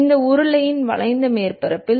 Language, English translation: Tamil, Along the curved surface of this cylinder